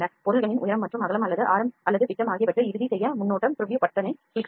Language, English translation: Tamil, Then we click the preview button to finalize the height and the width or the radii or diameter of the objects